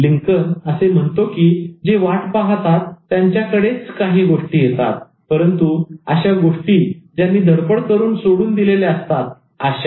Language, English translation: Marathi, And as Lincoln says, things may come to those who wait, but only the things left by those who hustle